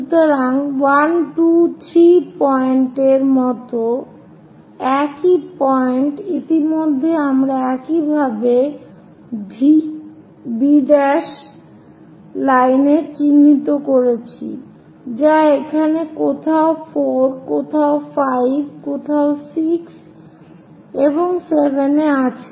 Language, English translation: Bengali, So 1, 2, 3 points already we know similarly locate some other points on that V B prime line somewhere here 4 somewhere here 5 somewhere here 6 and 7, so these are arbitrary points